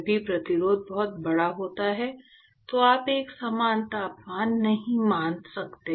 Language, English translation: Hindi, Whenever the resistance is very large, you cannot assume uniform temperature